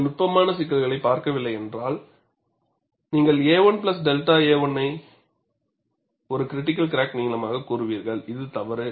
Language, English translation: Tamil, If you have not looked at the certain issues, you will simply say a 1 plus delta a 1 as a critical crack length, which is wrong